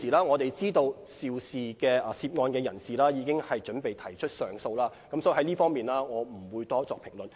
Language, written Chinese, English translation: Cantonese, 我們知道現時涉案人士已經準備提出上訴，所以就這方面，我不會多作評論。, We know that the person concerned is about to file an appeal . Thus I will not make any comments on the case